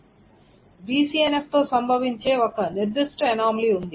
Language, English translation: Telugu, There is a particular anomaly that can happen with BCNF